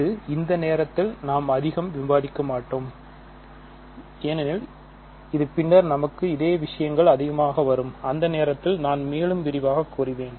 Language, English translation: Tamil, So, this is a we will not discuss a lot at this point because this will come up later for us and at that time I will say more